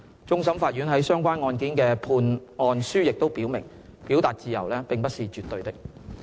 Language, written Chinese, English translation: Cantonese, 終審法院在相關案件的判案書亦表明，表達自由並不是絕對的。, The Court of Final Appeal also maintains in its judgments of the relevant cases that the right to freedom of expression is not absolute